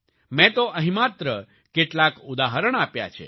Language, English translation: Gujarati, I have given only a few examples here